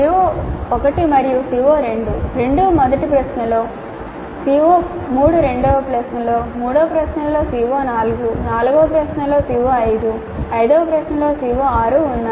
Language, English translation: Telugu, CO1 and CO2, both of them are covered in the first question and CO3 is covered in the second question, CO4 in the third question, CO5 in the fourth question, CO6 in the third question, CO5 in the fourth question, CO 6 in the fifth question